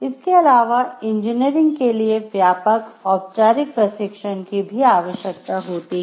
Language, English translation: Hindi, Also engineering requires extensive formal training